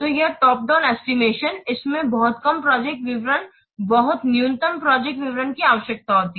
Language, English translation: Hindi, So, the top down estimation, it requires very few amount of project details, very minimal project details